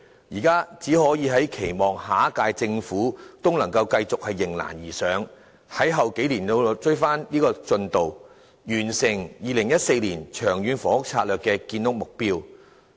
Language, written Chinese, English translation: Cantonese, 現在只可以期望下一屆政府繼續迎難而上，在往後數年追回進度，完成2014年《長遠房屋策略》的建屋目標。, Now we can only expect that the next - term Government will keep on rising to the challenges and endearvouring to speed up the progress in the coming few years with a view to its delivering the Long Term Housing Strategy LTHS target set in 2014